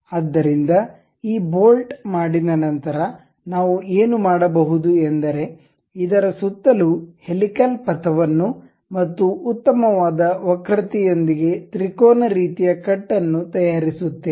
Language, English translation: Kannada, So, once this bolt is done what we can do is we make a helical path around this and a triangular kind of cut with a nice curvature and pass with match with this pitch and height thing and make a thread out of it